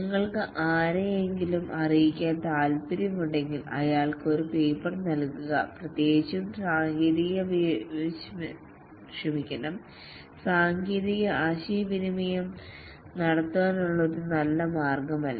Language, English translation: Malayalam, If you want to convey somebody something, you give him a paper, specially technical communication is not a good way to communicate